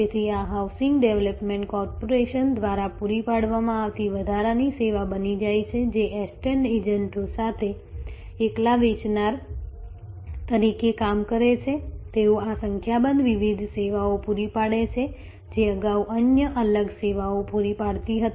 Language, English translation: Gujarati, So, this becomes an additional service provided by a housing development corporation acting as a seller alone with estate agents, they provide these number of different services, which earlier where other discrete services